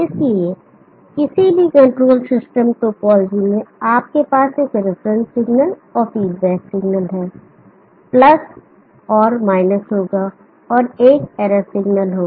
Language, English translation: Hindi, So in any control system topology you will have a reference signal and feedback signal + and – and there will be an error signal